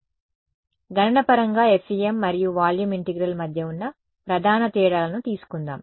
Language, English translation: Telugu, So, let us take and whatever the main differences between FEM and volume integral in terms of computation